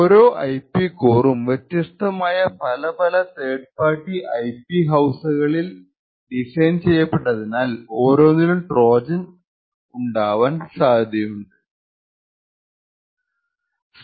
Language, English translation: Malayalam, So, each of these IP cores is designed or purchased from a different third party IP house and each of them could potentially insert a hardware Trojan